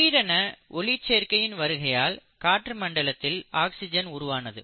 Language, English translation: Tamil, Then suddenly due to the advent of photosynthesis, the atmosphere started getting oxidised, right